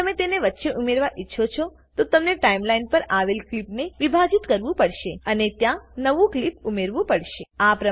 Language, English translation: Gujarati, If you want to add in between then you will have to split the clip which is on the Timeline and add the new clip there